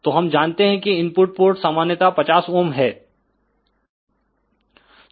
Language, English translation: Hindi, So, we know that the input ports are generally 50 ohm